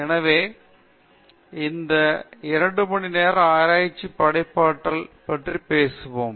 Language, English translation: Tamil, So, these two hours we will talk about Creativity in Research